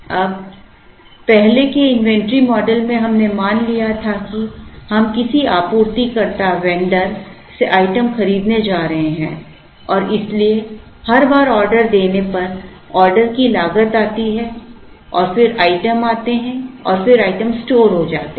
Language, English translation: Hindi, Now earlier; in the earlier inventory models we assumed that, we are going to buy the item from a vendor and therefore, every time an order was placed there is an order cost and then the items come in and then the items are stored